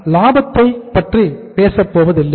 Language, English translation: Tamil, We are not going to say uh talk about the profits